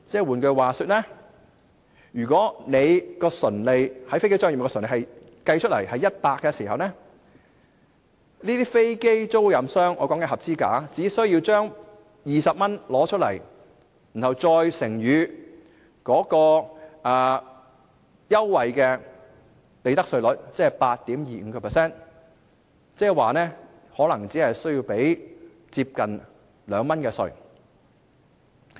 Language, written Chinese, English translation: Cantonese, 換言之，如果在飛機租賃業務的純利是100元，這些合資格的飛機出租商只需要付出20元，再乘以該優惠的利得稅稅率 8.25%， 即是說，可能只須繳付接近2元的稅款。, In other words if the aircraft leasing profit is 100 the qualifying aircraft lessor will only need to pay 20 x 8.25 % preferential profits tax rate . Hence the aircraft lessor may only need to pay about 2 tax